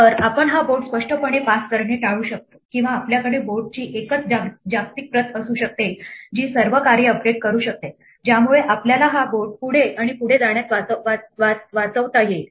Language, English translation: Marathi, So, can we avoid passing this board explicitly or can we have a single global copy of the board that all the functions can update which will save us passing this board back and forth